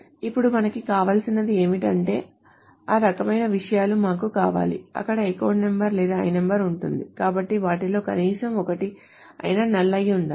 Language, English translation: Telugu, Now what do we want is that we want those kind of things where there is either an account number or an L number, so at least one of them is null